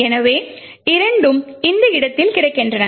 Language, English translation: Tamil, So, both are available at these locations